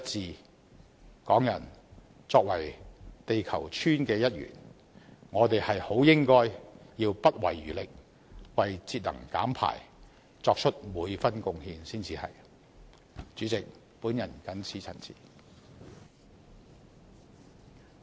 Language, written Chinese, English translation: Cantonese, 香港人作為地球村的一員，我們很應該不遺餘力，為節能減排作出每分貢獻才是。, Being a member of the village earth Hongkongers should spare no effort to make every possible bit of contribution to energy conservation and emission reduction